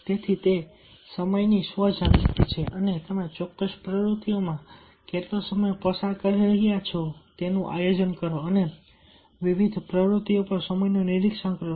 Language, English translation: Gujarati, so therefore, it is the self awareness of time, planning how long you can spend on specific activities and monitoring time on different activities